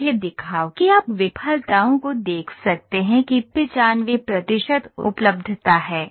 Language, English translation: Hindi, Let me show you the failures you can see 95 percent is availability here, 95 percent availability